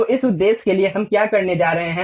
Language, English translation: Hindi, So, for that purpose, what we are going to do